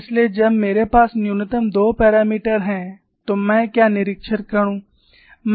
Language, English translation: Hindi, So, when I have minimum of 2 parameters, what do I observe